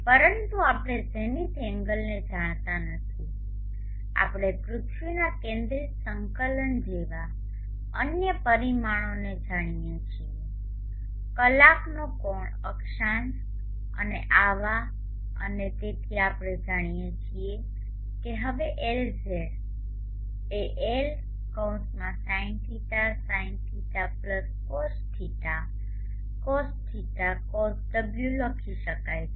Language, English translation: Gujarati, But we do not know the zenith angle we know other parameters in the earth centric coordinates like the declination the hour angle latitude and such and therefore we know that now Lz can be written as L (sind sin